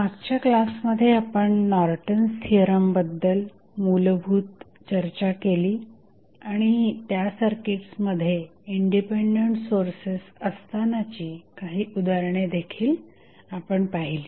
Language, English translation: Marathi, So, in the last class we discuss about the basics of Norton's theorem and we did some the examples with the help of the sources which were independent in those circuits